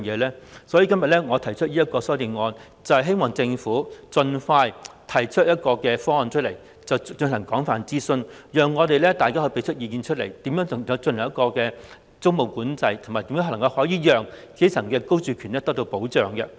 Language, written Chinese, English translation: Cantonese, 因此，我今天提出這項修正案，希望政府盡快提出方案，並進行廣泛諮詢，讓大家就如何進行租務管制，以及如何保障基層市民的居住權發表意見。, Why does the Government not consider such an option? . Therefore I have proposed this amendment today in the hope that the Government will put forward a proposal as soon as possible and conduct extensive consultation so that we can express our views on how tenancy control should be implemented and how best the security of tenure of the grass roots can be protected